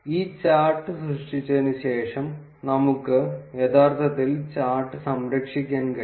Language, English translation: Malayalam, After creating this chart, we can actually save the chart